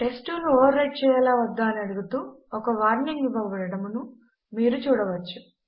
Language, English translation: Telugu, As you can see a warning is provided asking whether test2 should be overwritten or not